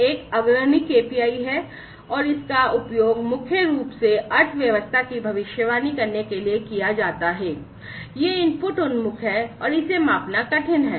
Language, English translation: Hindi, One is the leading KPI, and it is mainly used to predict the economy, it is input oriented, and is hard to measure